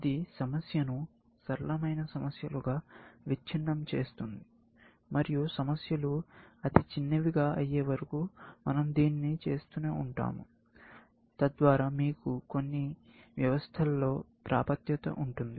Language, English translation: Telugu, Break it down into simpler problems and we keep doing this, till the problems are severely small or primitives, that you have access to in some systems, especially